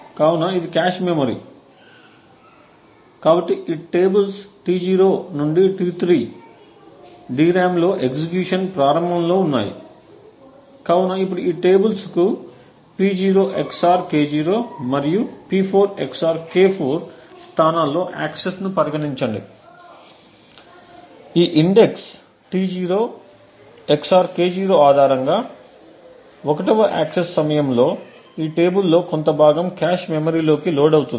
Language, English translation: Telugu, So this is the cache memory, so these tables T0 to T3 are at the start of execution available in the DRAM, so now consider the axis to this tables at locations P0 XOR K0 and P4 XOR K4, so during the 1st access based on this index T0 XOR K0 some part of this table is loaded into the cache memory